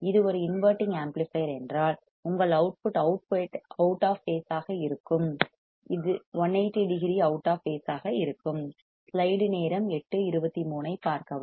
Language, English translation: Tamil, And if it is an inverting amplifier, then your output would be out of phase, out of phase 180 degree out of phase